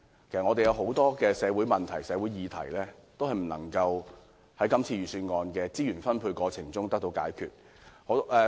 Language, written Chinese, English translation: Cantonese, 其實，有很多社會問題、社會議題也無法透過今次預算案的資源分配而得到解決。, The reason is that the resource distribution under the Budget this year cannot possibly tackle the numerous social problems and issues